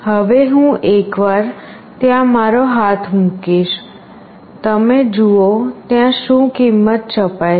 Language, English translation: Gujarati, Now I will put my hand there once, you see what value it is getting printed